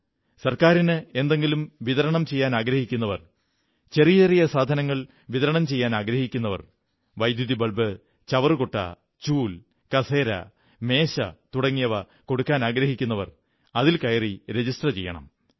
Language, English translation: Malayalam, Whoever wants to supply any item to the government, small things such as electric bulbs, dustbins, brooms, chairs and tables, they can register themselves